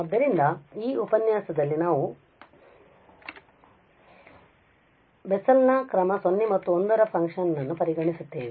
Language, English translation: Kannada, So, we will consider in this lecture now the Bessel's function of order 0 and 1